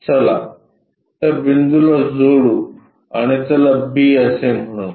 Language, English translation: Marathi, So, let us join that point and let us call b